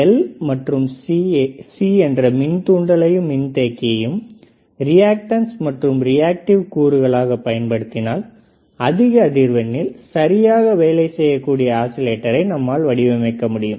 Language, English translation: Tamil, While if I use L and C that is inductor and capacitance as reactance is or reactive components, then we can design oscillators which can work at higher frequencies right